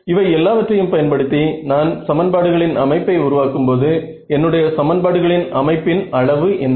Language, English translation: Tamil, When I form assemble a system of equations using all of these what is my system the size of my system of equations